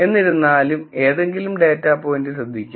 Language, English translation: Malayalam, However, notice that any data point